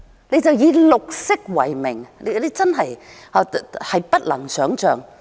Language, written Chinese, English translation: Cantonese, 你們只管以綠色為名，真的不能想象。, You people care only to act in the name of green and this is indeed inconceivable